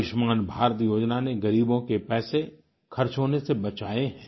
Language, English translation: Hindi, The 'Ayushman Bharat' scheme has saved spending this huge amount of money belonging to the poor